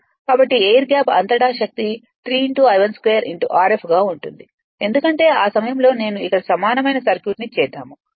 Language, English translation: Telugu, So, power across the air gap will be 3 I 1 square R f because at that time I mean if I if I make it here if I make it here